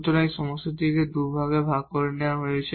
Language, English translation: Bengali, So, we will break into two problems